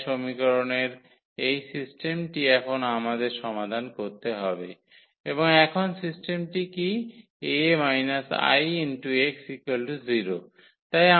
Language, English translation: Bengali, So, this system of equation we have to solve now and what is the system now A minus 1